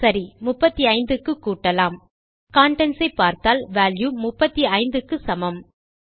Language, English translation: Tamil, Right, so lets increment to 35 and were going to contents and this value equals 35